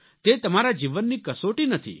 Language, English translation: Gujarati, But it is not a test of your life